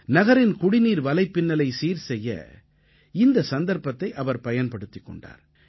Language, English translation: Tamil, He utilized this opportunity in improving the city's water supply network